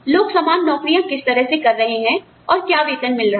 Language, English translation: Hindi, How people doing, similar kind of jobs, are being paid